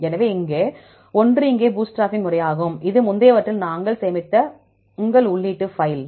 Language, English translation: Tamil, So, one is the bootstraping method here, this is your input file work on we saved in the previous one